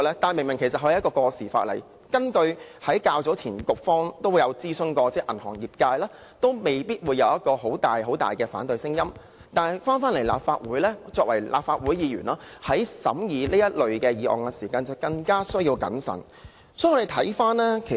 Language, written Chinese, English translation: Cantonese, 這是一項過時的法例，當局較早前曾諮詢銀行業界，業界未必會有很大的反對聲音，但作為立法會議員，審議此類《條例草案》時就有需要更謹慎。, Although the banking sector was consulted earlier on this obsolete piece of legislation and strong opposition will probably not be raised we as Members of the Legislative Council are still obliged to examine such Bills more cautiously